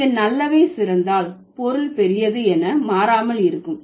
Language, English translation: Tamil, So, here when good becomes better, the meaning remains same as big becomes bigger